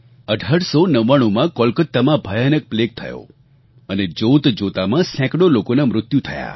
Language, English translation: Gujarati, In 1899, plague broke out in Calcutta and hundreds of people lost their lives in no time